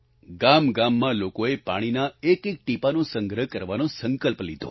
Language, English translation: Gujarati, People in village after village resolved to accumulate every single drop of rainwater